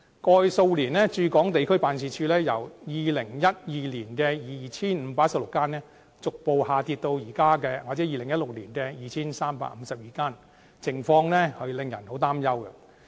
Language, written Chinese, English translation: Cantonese, 過去數年，駐港地區辦事處由2012年的 2,516 間，逐步下跌至2016年的 2,352 間，情況令人相當擔憂。, Over the past few years the number of regional headquarters stationing in Hong Kong has gradually dropped from 2 516 in 2012 to 2 352 in 2016 which is rather worrying